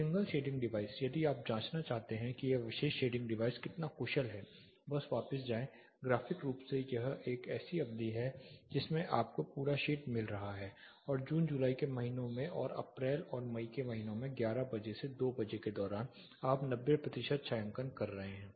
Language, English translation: Hindi, The single shading device if you want to check how efficient this particular shading device is, simply go back graphically this is a duration in which you are getting full shade and in the months of say June July August and in the months of April and May during 11 o clock to 2 pm, 11 am to 2 pm you are getting more or less 90 percent shading